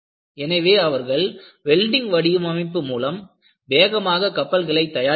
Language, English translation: Tamil, When they switched over to welded design, they could quickly make the ships